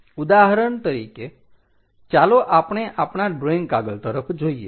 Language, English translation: Gujarati, For example, let us look at our drawing sheets